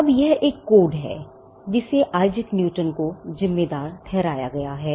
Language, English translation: Hindi, Now, this is a code that is attributed to Isaac Newton